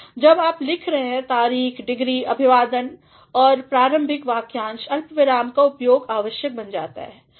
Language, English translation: Hindi, When you are writing dates, degrees, salutations and parenthetical expressions the use of comma becomes mandatory